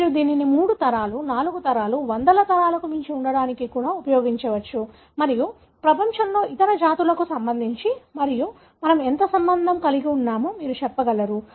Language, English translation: Telugu, You can use this to even go beyond three generations, four generations, may be hundreds of generations back and you will be able to tell how related we are with, in relation to the other races in the world and so on